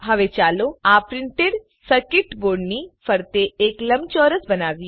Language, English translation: Gujarati, Now let us create a rectangle around this Printed circuit Board